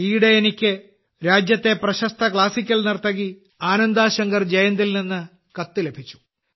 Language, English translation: Malayalam, Recently I received a letter from the country's famous Indian classical dancer Ananda Shankar Jayant